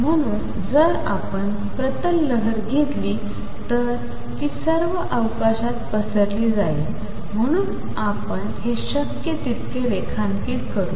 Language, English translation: Marathi, So, if you take a plane wave it may be spread all over space, some drawing it as much as possible